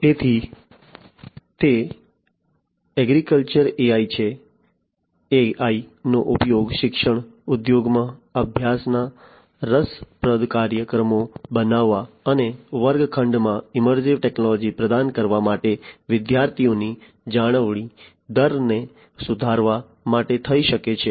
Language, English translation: Gujarati, So, that is the AI in agriculture, AI could be used in education industry to improve the student retention rate for making interesting study programs and for providing immersive technology into the classroom